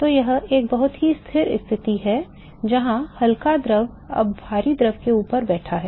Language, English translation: Hindi, So, that is a very stable situation where light fluid is now sitting on top of the heavy fluid